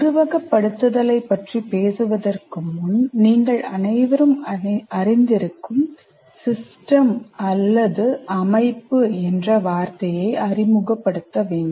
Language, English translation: Tamil, Before we go talk about simulation, we have to introduce the word system with which all of you are familiar